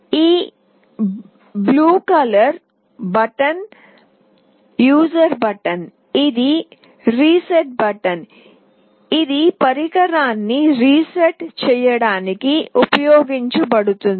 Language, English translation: Telugu, There is a blue color button that is the user button, this is the reset button that will be used to reset the device